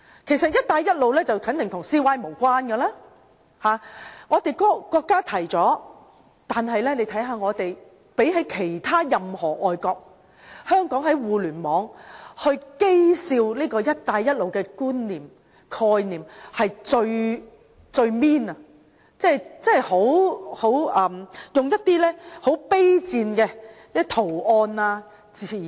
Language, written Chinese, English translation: Cantonese, 其實"一帶一路"肯定與 CY 無關，是由國家提出。然而，相對其他任何地方，香港在互聯網譏笑"一帶一路"的概念是最刻薄的，用上很卑賤的圖案或用語。, One Belt One Road is certainly unrelated to CY as it is proposed by the country yet in comparison to netizens in other places Hong Kongs netizens are the most scornful of One Belt One Road treating the concept with ridicules involving some very despicable images or wording . One Belt One Road is an strategic initiative on international economy